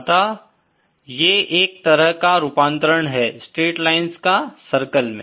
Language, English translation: Hindi, So, it is a kind of conversion from straight lines to circles